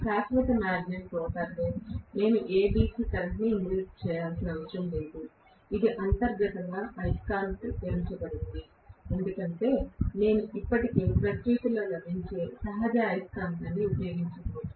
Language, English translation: Telugu, Whereas in permanent magnet rotor I do not have to inject any DC current, it is inherently magnetised because I am going to use a natural magnet that is available in nature already